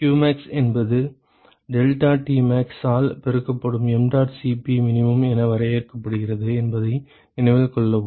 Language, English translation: Tamil, Remember that qmax is defined as mdot Cp min multiplied by deltaTmax